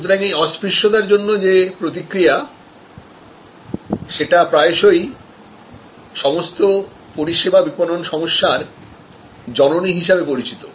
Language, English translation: Bengali, So, these are responses to intangibility which are often called the mother of all services marketing problems